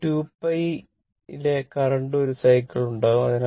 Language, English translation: Malayalam, But in 2 pi, power will make 2 cycles